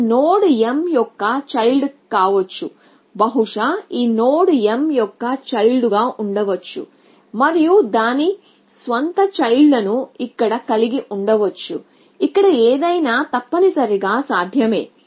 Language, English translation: Telugu, So, this node could have been a child of m and maybe this node could have been a child of m which could have its own children child here anything is possible essentially